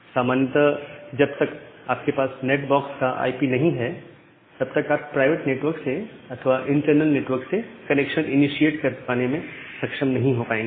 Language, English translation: Hindi, But in general unless you have the IP of the NAT box, you will not be able to initiate a connection from the outside world or from the public world